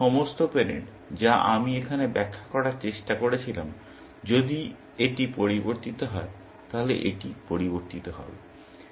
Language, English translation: Bengali, So, all parents; that is what I was trying to illustrate here, is that if this has changed, then this will change